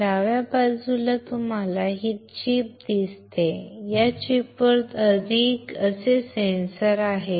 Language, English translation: Marathi, On the left side you see this chip, and on this chip there are the sensors like this